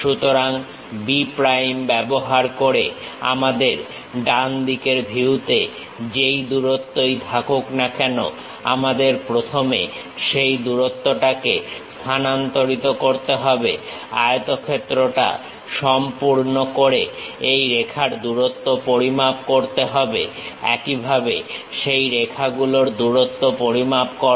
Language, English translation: Bengali, So, using B prime, whatever the length in the right side view we have that length first we have to transfer it, complete the rectangle measure length of this line; similarly, measure lengths of that line